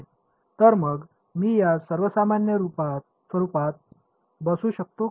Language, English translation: Marathi, So, can I can I fit into this generic form